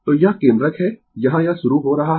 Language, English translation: Hindi, So, this is the origin here it is starting